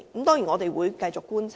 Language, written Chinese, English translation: Cantonese, 當然，我們一定會繼續觀察。, Of course we will definitely keep track of the development